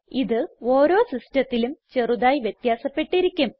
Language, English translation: Malayalam, This may slightly vary from one system to another